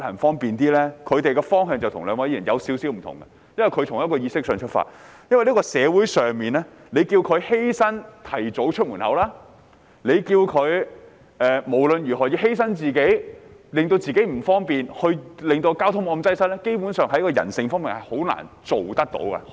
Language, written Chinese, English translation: Cantonese, 他們的方向與兩位議員有少許不同，因為他們是從意識上出發，因為在這個社會，如果要市民作出一點犧牲，提早出門，不論怎樣，要犧牲自己或令自己不方便，從而令交通沒有那麼擠塞，基本上，人性上是很難做到的。, Their direction is slightly different from that of the two Members . They start from the concept . In this society if the citizens are required to make a little sacrifice and leave home early nevertheless they have to sacrifice themselves or make themselves inconvenient for relieving traffic congestion